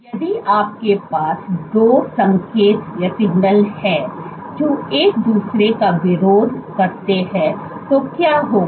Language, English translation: Hindi, What would happen if you have two signals which oppose each other